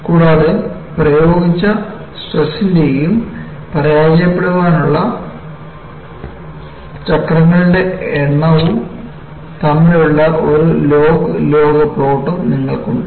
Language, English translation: Malayalam, And, you have a log log plot of the stress applied and the number of cycles to failure